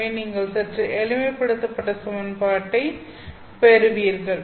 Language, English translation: Tamil, So you get a slightly simplified equation